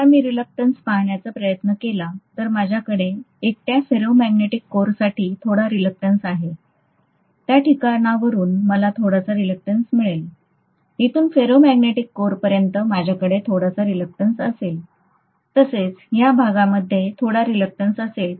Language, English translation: Marathi, And this reluctance if I try to look at it here, I have some reluctance for the ferromagnetic core alone, from here to here I will have some reluctance, from here to here I will have some reluctance, I will also have some reluctance for this, I will have some reluctance for this, of course I am going to have some reluctance for this limb as well